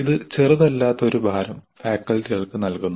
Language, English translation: Malayalam, It imposed fair amount of load on the faculty